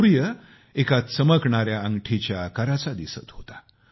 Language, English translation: Marathi, The sun was visible in the form of a shining ring